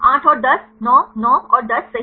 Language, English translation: Hindi, Eight and 10, 9, 9 and 10 right